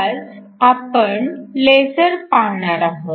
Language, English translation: Marathi, Today, we are going to look at LASERs